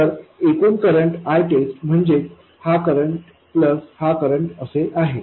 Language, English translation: Marathi, So the total current I test this equals that one plus that one